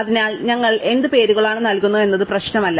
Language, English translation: Malayalam, So, it does not really matter of what names we give